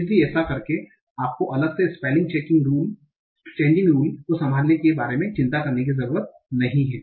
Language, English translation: Hindi, So doing that, you don't have to worry about handling the spelling change rules separately